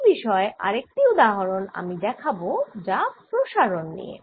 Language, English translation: Bengali, another example of this i am going to take relates to diffusion